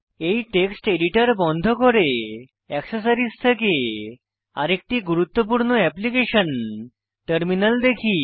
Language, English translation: Bengali, Lets close this text editor and lets see another important application from Accessories i.e Terminal